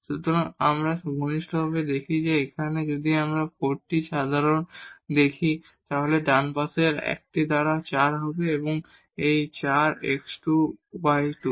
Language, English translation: Bengali, So, if we take a close look, so here if we take this 4 common, so will be 1 by 4 there in the right hand side, this 4 x square plus y square